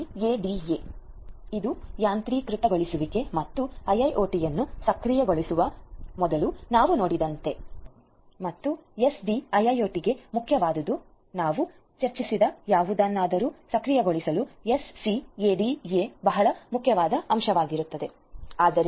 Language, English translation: Kannada, The SCADA is there SCADA is important for automation as we have seen before automation and enable enablement of software defined sorry enablement of a IIoT and for SDIIoT as well SCADA is a very important component for enabling whatever we have discussed